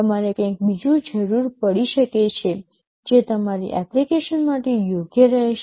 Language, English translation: Gujarati, You may require something else, which will be best suited for your application